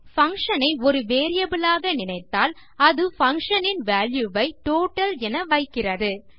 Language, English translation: Tamil, What this does is If you think of the function as a variable it sets the functions value as the total